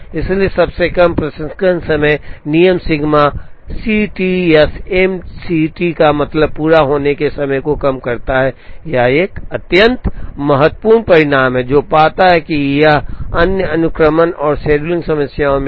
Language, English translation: Hindi, So, the shortest processing time rule minimizes sigma C T or M C T mean completion time, this is an extremely important result, which finds it is way into other sequencing and scheduling problems